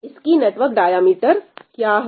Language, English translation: Hindi, What is the diameter of this network